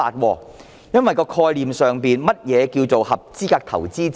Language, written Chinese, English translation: Cantonese, 究竟概念上何謂合資格投資者？, What exactly is the concept of qualified investors?